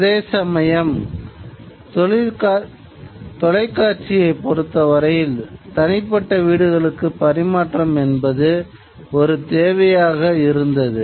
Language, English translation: Tamil, Now, transmission of television to individual homes is something that became a need